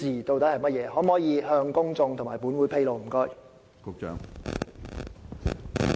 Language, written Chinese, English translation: Cantonese, 局長可否向公眾和本會披露這些資料？, Can the Secretary provide these two items of information to the public and this Council?